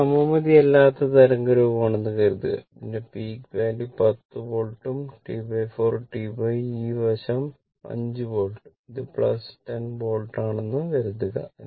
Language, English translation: Malayalam, Suppose this is given suppose this this is unsymmetrical waveform suppose peak is given 10 volt right and T by 4 t by and this this side it is minus 5 volt this is plus 10 volt right